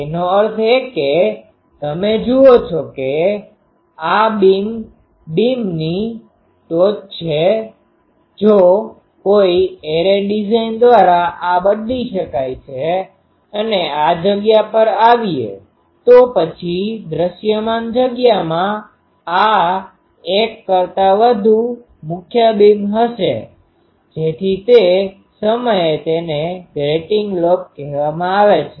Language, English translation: Gujarati, That means, you see this is another beam speak now if by some array design this can be changed and come to this space, then there will be more than one main beam in the visible space so that time this is called grating lobe